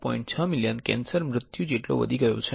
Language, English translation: Gujarati, 6 million cancer deaths